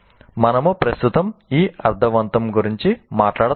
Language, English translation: Telugu, We'll talk about this meaningfulness presently